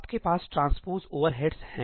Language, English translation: Hindi, You have the transpose overheads